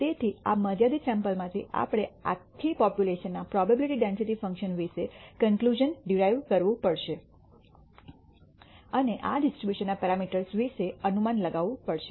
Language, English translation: Gujarati, So, from this finite sample we have to derive conclusions about the probability density function of the entire population and also infer, make inferences about the parameters of these distributions